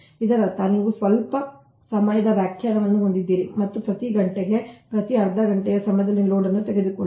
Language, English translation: Kannada, that mean you have a some time definition and take the load at every hour and half an hour, what say hour